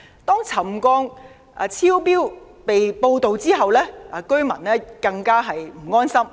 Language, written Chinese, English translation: Cantonese, 當沉降超標被報道後，居民更不安心。, When excessive settlement was reported residents became more worried